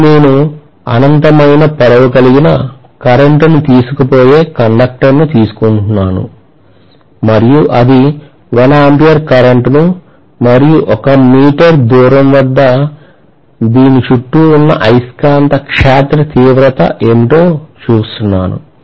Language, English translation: Telugu, Now if I say that I am just taking a current carrying conductor of infinite length and let us say it is carrying a current of 1 ampere and I am looking at what is the magnetic field intensity around this at a distance of say 1 meter